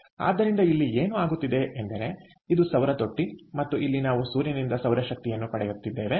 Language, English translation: Kannada, over here, this is the solar trough and where we are getting the solar energy from the sun